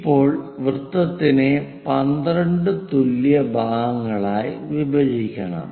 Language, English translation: Malayalam, Now, circle also supposed to be divided into 12 equal parts